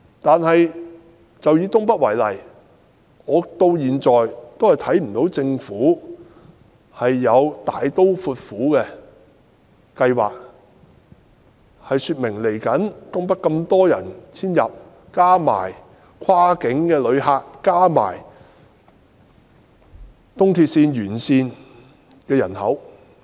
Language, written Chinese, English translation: Cantonese, 但是，以東北為例，我到現在也看不到政府有大刀闊斧的計劃進行基建，以應付未來遷入東北的人口、跨境旅客及東鐵綫沿線人口。, That said take NENT as an example . So far I have not seen any bold plan of the Government on infrastructure construction to cater for the people moving to NENT cross - boundary passengers and residents living in areas along the East Rail Line of MTR